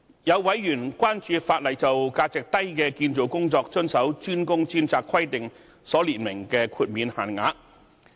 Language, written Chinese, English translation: Cantonese, 有委員關注法例就價值低的建造工作遵守"專工專責"規定所列明的豁免限額。, A Member was concerned about the threshold for exempting small value construction work from the DWDS requirement